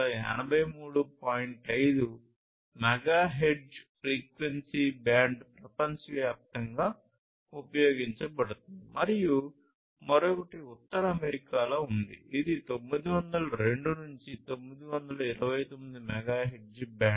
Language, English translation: Telugu, 5 megahertz frequency band which is used worldwide and the other one is in North America which is the 902 to 929 megahertz band